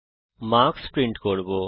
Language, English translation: Bengali, we shall print the marks